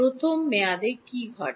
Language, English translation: Bengali, What happens to the first term